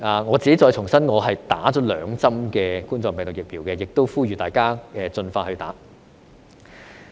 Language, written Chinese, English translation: Cantonese, 我自己重申，我已經完成接種兩針冠狀病毒病的疫苗，我亦呼籲大家盡快接種。, I must reiterate that I have had two shots of the coronavirus vaccine and call on everyone to get vaccinated as soon as possible